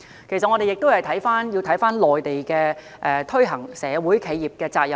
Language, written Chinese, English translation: Cantonese, 其實，我們要看看內地推行企業社會責任的情況。, In fact we should take a look at the implementation of CSR in the Mainland